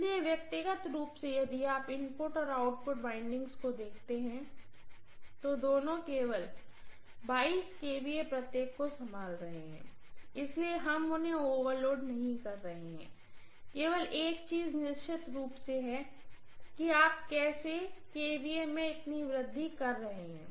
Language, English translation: Hindi, So individually if you look at the input and output windings both of them are handling only 22 kVA each, so we are not overloading them, only thing is certainly how come you are having so much of increasing in the kVA